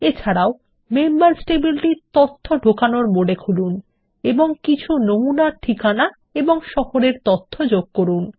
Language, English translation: Bengali, Also open the Members table in Data Entry mode and insert some sample address and city data